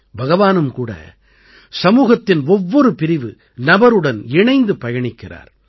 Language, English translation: Tamil, God also walks along with every section and person of the society